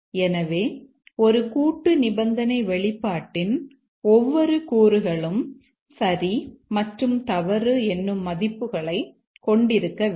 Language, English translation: Tamil, So, each component of a composite conditional expression must take true and false values